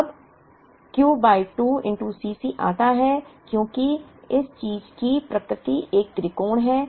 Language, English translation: Hindi, Now, the Q by 2 into C c comes because of the nature of this thing which is a triangle